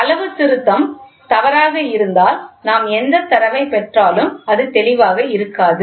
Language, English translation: Tamil, Suppose if the calibration is wrong, so then whatever data we get the result is also not clear